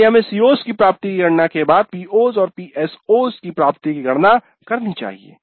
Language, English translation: Hindi, So we need to compute the attainment of COs and thereby POs and PSOs